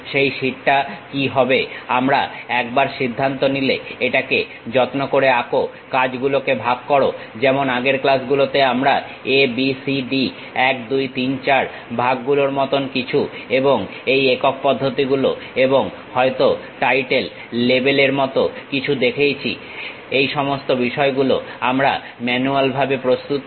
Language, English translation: Bengali, We are the ones deciding what should be that sheet, draw it carefully, divide the task like in the earlier classes we have seen something like division a, b, c, d, 1, 2, 3, 4 and this system of units, and perhaps something like titles labels, all these things we are manually preparing it